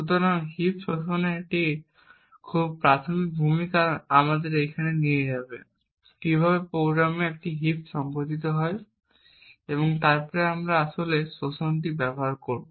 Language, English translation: Bengali, So, this very basic introduction to a heap exploit would first take us through how a heap is organized in the program and then we would actually use the exploit